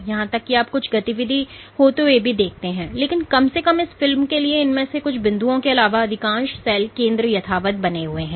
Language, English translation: Hindi, Even here you see some activity happening, but at least for this movie apart from some of these points most of the cell center remains in place ok